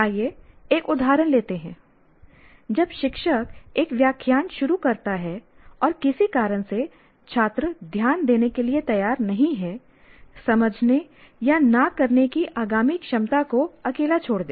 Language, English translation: Hindi, When the teacher starts a lecture, if the students for some reason is not even willing to pay attention, leave alone subsequent ability to understand, not understand